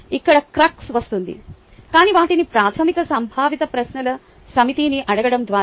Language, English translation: Telugu, ok, by, but by asking them a set of basic conceptual questions